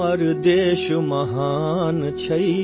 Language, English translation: Hindi, Our country is great